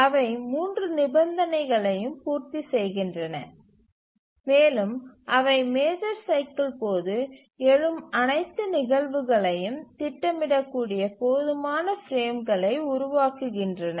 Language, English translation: Tamil, They satisfy all the three conditions and also they give rise to enough frames where all the task instances arising during the major cycle can be scheduled